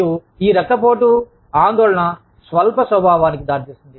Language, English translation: Telugu, And, this elevated blood pressure and anxiety, leads to short temperedness